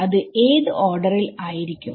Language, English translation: Malayalam, What order will it be